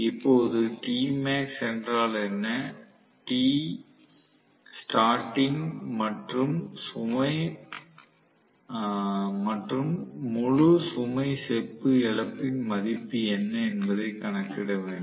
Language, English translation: Tamil, Now you are being asked to calculate what is t max what is t starting and what is the value of full load copper loss